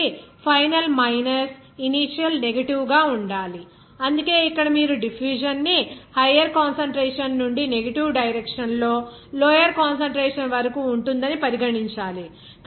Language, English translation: Telugu, So, final minus initial is to be negative, that is why here you have to consider that the diffusion will be from higher concentration to the lower concentration in the negative direction